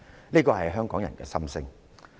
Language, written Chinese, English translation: Cantonese, "這是香港人的心聲。, This is Hongkongers true feeling